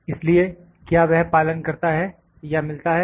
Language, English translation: Hindi, So, whether it adheres or does it meet